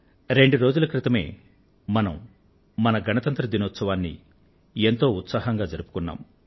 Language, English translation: Telugu, Just a couple of days ago, we celebrated our Republic Day festival with gaiety fervour